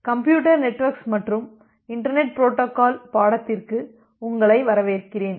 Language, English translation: Tamil, Welcome, back to the course on Computer Network and Internet Protocol